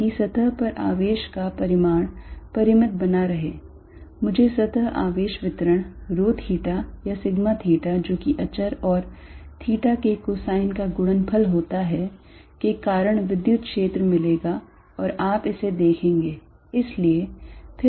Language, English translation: Hindi, So, that the charge on the surface remains finite I will get the electric field due to a surface charge distribution rho theta or sigma theta which is some constant times cosine of theta and you will see that